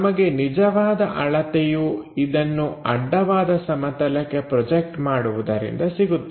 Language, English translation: Kannada, So, true length we will get it by projecting it on the horizontal plane